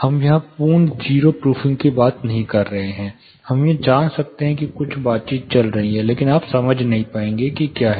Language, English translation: Hindi, We are not talking about a total 0 proofing here, we are able to know that some conversation is going here, but you will not be understanding what it is